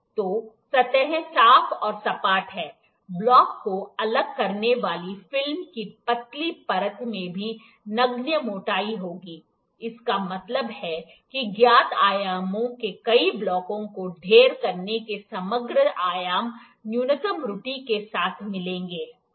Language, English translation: Hindi, So, the surfaces are clean and flat, the thin layer of film separating the blocks will also have negligible thickness, this means that stacking of multiple blocks of known dimensions will give the overall dimensions with minimum error, ok